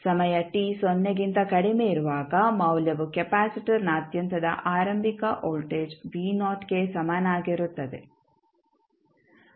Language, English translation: Kannada, For time t less than 0 the value is equal to the initial voltage across the capacitor that is v naught